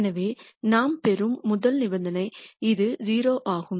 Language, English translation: Tamil, So, the rst condition that we will get is that this is 0